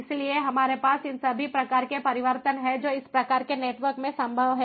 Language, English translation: Hindi, so we have all these different types of different types of changes that are possible in these kind of networks